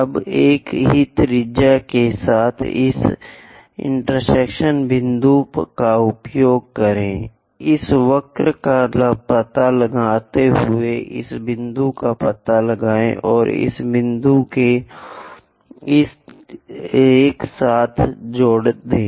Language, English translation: Hindi, Now, use this intersection point with the same radius, intersect this curve locate this point and join this point with this one